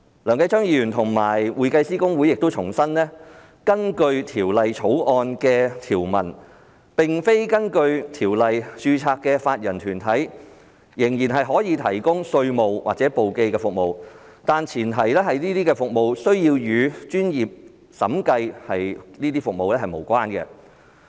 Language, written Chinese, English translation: Cantonese, 梁繼昌議員和公會亦重申，根據《條例草案》的條文，並非根據《條例》註冊的法人團體仍然可以提供稅務或簿記服務，但前提是，這些服務須與專業審計服務無關。, Mr Kenneth LEUNG and HKICPA have also reiterated that it will still be permissible under the provisions of the Bill for a body corporate which is a non - HKICPA corporate practice to provide taxation or bookkeeping services as long as the services are not related to professional auditing service